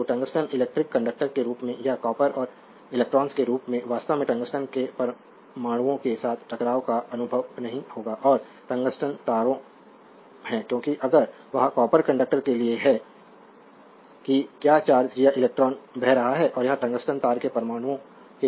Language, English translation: Hindi, So, tungsten is not as will be as your electrical conductor or as copper and electrons actually experience collisions with the atoms of the tungsten right and that is the tungsten wires, because that if that is to the copper conductor that your what you call charge or electron is flowing and it will make a your what you call collision with the atoms of the tungsten wire